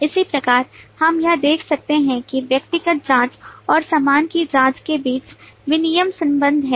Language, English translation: Hindi, Similarly, we can see that between the individual checking and the baggage checking there is a exchange relationship